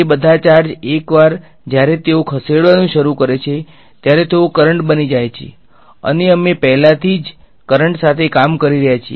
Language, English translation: Gujarati, All of those charges once they start moving they become currents and we already dealing with currents